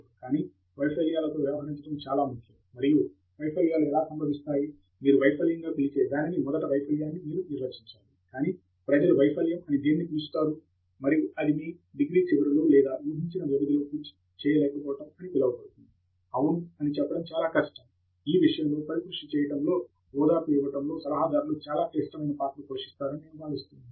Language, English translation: Telugu, But, of course, dealing with failures is important, and failures occurring towards… what you call as a failure, you should have to first define a failure, but what people call as failure and if it occurs towards the end of your degree or so called expected duration, then yeah, it is more difficult to say and that is where I think advisors play a very critical role in cushioning, and in giving comfort, and so on, and giving advice in the right direction